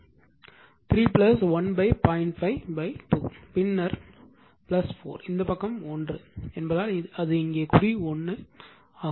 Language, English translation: Tamil, 5 multiplied by 2 right then plus 4 this side is 1 because here it is mark 1